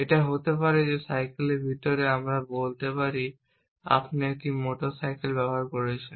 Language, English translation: Bengali, It could be that inside of bicycle let us say you using a motor cycle